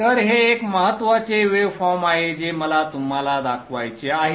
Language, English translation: Marathi, So this is one important waveform which I wanted to show you